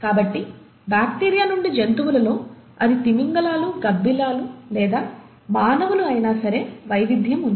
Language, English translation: Telugu, So, there is diversity, starting all the way from bacteria to what you see among animals, whether it is the whales, the bats, or the human beings